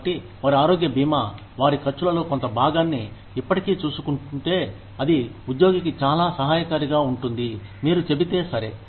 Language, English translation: Telugu, So, if their health insurance, is already taking care of, a part of their expenses, it would be very helpful to the employee, if you said, okay